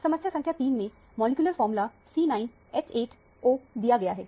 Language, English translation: Hindi, In problem number 3, the molecular formula is given as C9H8O